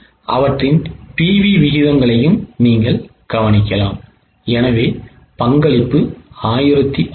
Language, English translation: Tamil, You can also note their PV ratios and the contribution